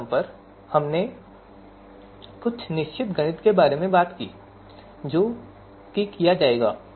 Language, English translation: Hindi, So at every steps we have talked about certain mathematics that would be performed